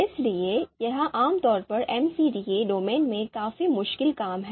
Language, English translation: Hindi, So this is typically a quite I know difficult task in MCDA domain